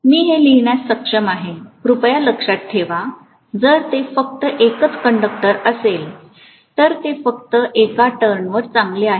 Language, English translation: Marathi, I should be able to write that as, please remember, if it is only one conductor it is as good as only one turn